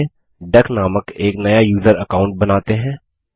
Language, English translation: Hindi, So let us create a new user account named duck